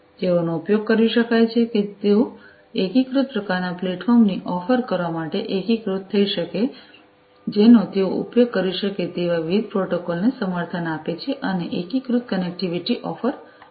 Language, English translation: Gujarati, They could also be used they could be integrated together to offer an unified kind of platform supporting different protocols they could be used and unified connectivity can be offered